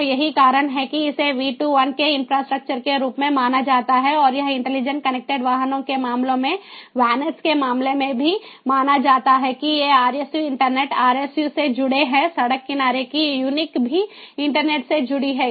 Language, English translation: Hindi, so that is the reason this is known as v to i infrastructure and it is also considered in the case of vanets, in the case of intelligent connected vehicles, is that these rsus are connected to the internet